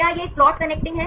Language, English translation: Hindi, It is a plot connecting